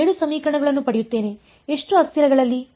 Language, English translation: Kannada, I will get 7 equations; in how many variables